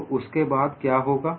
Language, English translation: Hindi, Then what would happen